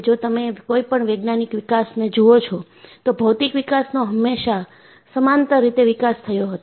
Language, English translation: Gujarati, See, if you look at any scientific development, there was always a parallel development on material development